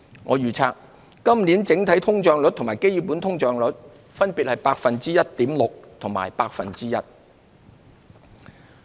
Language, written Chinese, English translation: Cantonese, 我預測今年整體通脹率與基本通脹率分別為 1.6% 和 1%。, I forecast that the headline inflation rate and the underlying inflation rate will be 1.6 % and 1 % respectively this year